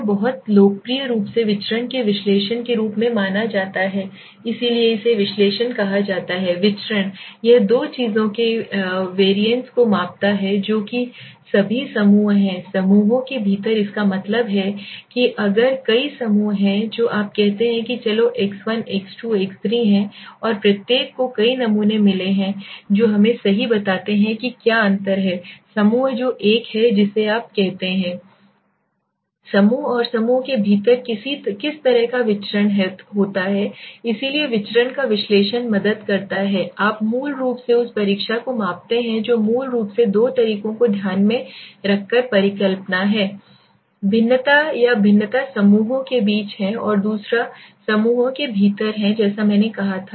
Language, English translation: Hindi, It is very popularly known as variants the analysis of variance so why it is called analysis of variance it is measuring the variants of the two things in account that is the groups all the group within the groups that means if there are several groups you say there are let s say X1 X2 X3 right and each had got several samples let us say right so what is the difference between the groups that is one which is you say between The groups and what is the kind of the variance within the group so analysis of variance helps you to basically measure the test that is hypothesis by taking it into account two ways basically variations or variance one is between the groups and the other is the within the groups as I said